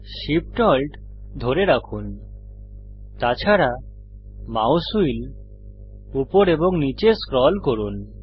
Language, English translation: Bengali, Hold Shift, Alt and scroll the mouse wheel up and down